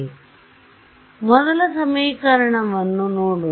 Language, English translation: Kannada, So, let us look at the first equation